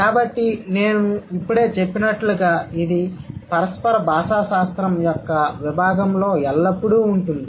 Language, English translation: Telugu, So, as I just mentioned, it is always there in the domain of interactional linguistics